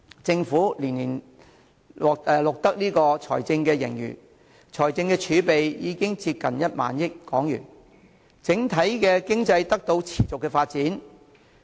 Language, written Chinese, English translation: Cantonese, 政府連年錄得財政盈餘，財政儲備已經接近1萬億港元，整體經濟得到持續發展。, The Government continues to record a yearly financial surplus and our fiscal reserve has almost reached HK1,000 billion . The overall economy also continues to grow